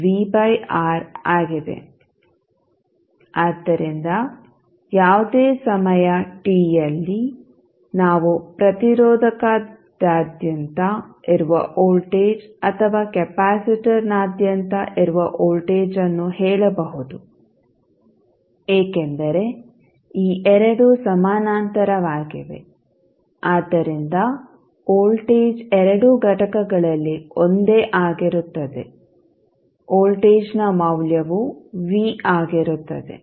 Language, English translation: Kannada, So, at any time t we can say the voltage across the resistor or voltage across the capacitor because these two are in parallel, so voltage will remain same across both of the elements, the value of voltage is say V